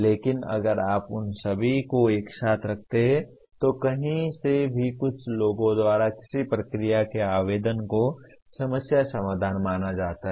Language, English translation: Hindi, But if you put all of them together, anywhere from some people mere application of some procedure is considered problem solving